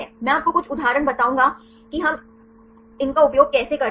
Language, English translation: Hindi, I will tell you a few examples through how we use these